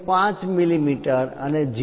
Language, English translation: Gujarati, 5 millimeters, 0